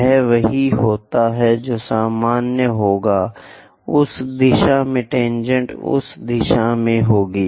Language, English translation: Hindi, Same thing happens here normal will be in that direction tangent will be in that direction